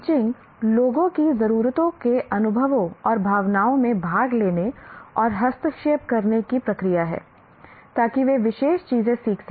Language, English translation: Hindi, Teaching is a process of attending to people's needs, experiences and feelings, and intervening so that they can learn particular things